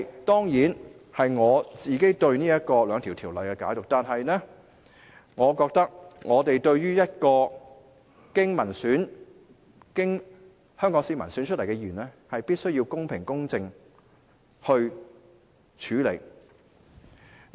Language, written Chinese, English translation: Cantonese, 當然，這是我對這兩項條例的解讀，但是，我覺得我們必須對一個經香港市民選出來的議員作出公平公正的處理。, Certainly this is my own interpretation of the two ordinances but I think we must treat a Member elected by the people of Hong Kong fairly and impartially